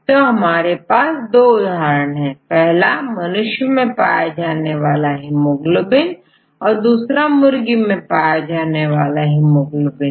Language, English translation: Hindi, So, here I get two examples; the first one is the human hemoglobin and the second one is chicken hemoglobin